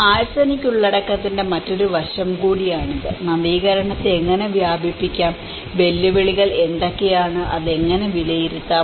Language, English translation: Malayalam, And this is also an another aspect of the arsenic content and how innovation could be diffused and what are the challenges and how one can assess it